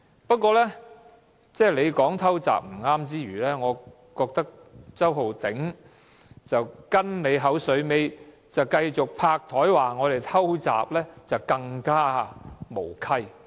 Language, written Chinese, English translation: Cantonese, 不過，你說"偷襲"是不對之餘，我覺得周浩鼎議員跟你"口水尾"，拍檯說我們"偷襲"，就更加無稽。, However while you were wrong to say surprise attack I think it was more nonsensical for Mr Holden CHOW to parrot your tune and yell surprise attack at us with his hand banging on the table